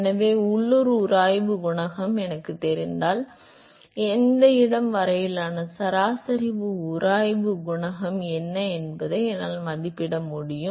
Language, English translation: Tamil, So, if I know the local friction coefficient, then I should be able to estimate what is the average friction coefficient up to that location